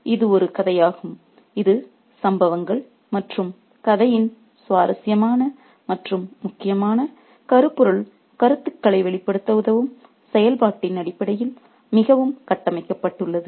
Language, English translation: Tamil, So, this is a story which is highly structured in terms of the incidents and the function that it serves to play out interesting and important thematic ideas in the story